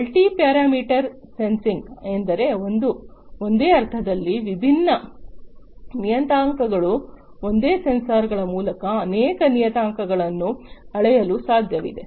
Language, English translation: Kannada, Multi parameter sensing means like different parameters in the same sense through the same sensors it is possible to measure multiple parameters